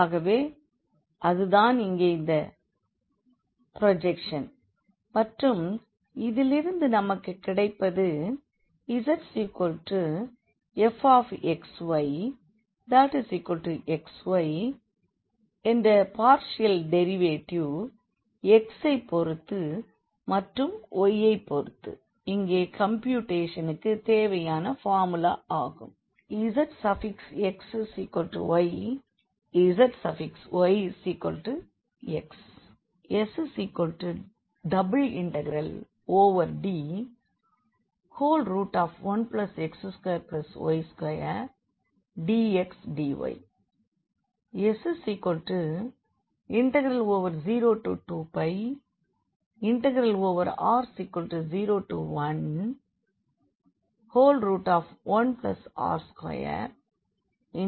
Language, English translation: Tamil, So, that will be the projection here and we can get out of this z is equal to x y this partial derivative with respect to x, partial derivative with respect to y which are required in the formula for the computation here